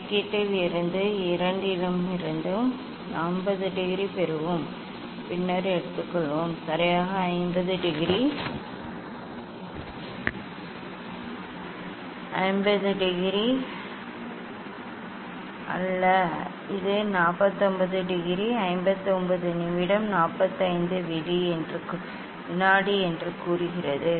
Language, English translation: Tamil, from calculation we will get 50 degree from both and then take exactly not 50 degree, it is a 49 degree, 59 minute say 45 second